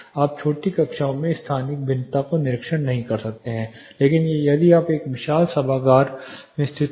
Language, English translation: Hindi, You may not observe special variation in small classrooms, but of you are located in a very huge auditorium